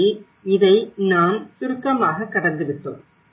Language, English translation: Tamil, So, this is we have just briefly gone through it